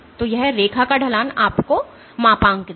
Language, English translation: Hindi, So, the slope of the line